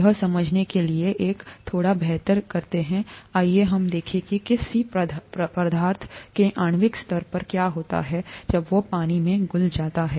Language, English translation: Hindi, To understand that a little better let us, let us look at what happens at the molecular level when a substance dissolves in water